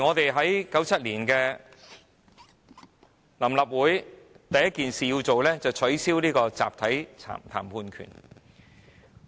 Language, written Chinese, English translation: Cantonese, 1997年，臨時立法會第一件做的事情，就是取消集體談判權。, In 1997 the first task performed by the Provisional Legislative Council was to scrap the collective bargaining right